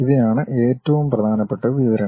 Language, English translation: Malayalam, These are the most important information